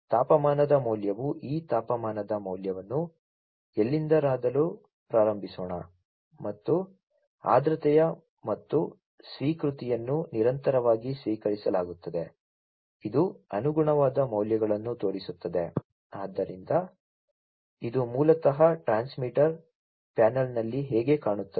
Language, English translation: Kannada, The temperature value let us start from somewhere this temperature value, and the humidity, and the acknowledgment received continuously, you know, it is showing the corresponding values, you know so this is basically how it looks like at the at the transmitter panel